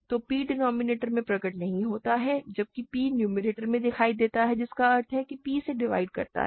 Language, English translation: Hindi, So, p does not appear in the denominator whereas, p appears in the numerator so that means, p divides this